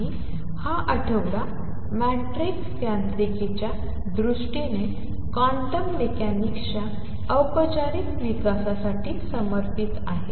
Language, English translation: Marathi, And this week has been devoted to the formal development of quantum mechanics in terms of matrix mechanics